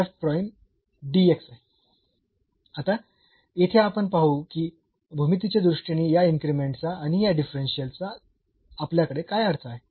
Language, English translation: Marathi, Now, we will see here what do we mean by this increment and this differential in terms of the geometry